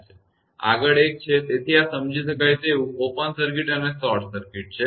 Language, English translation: Gujarati, Next one is; so, this is understandable open circuit and short circuit